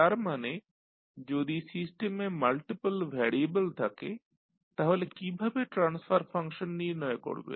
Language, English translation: Bengali, That means if you have multiple variable in the system, how you will find out the transfer function